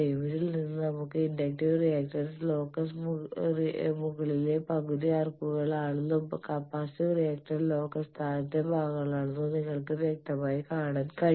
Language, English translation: Malayalam, From this we can say that inductive reactance locus are upper half arcs as you can see clearly and capacitive reactance locus they are the lower parts